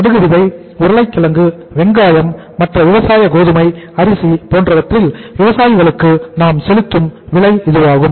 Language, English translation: Tamil, Price we pay to the farmers in case of mustard seed, in case of potato, in case of onion, in case of other agricultural wheat, rice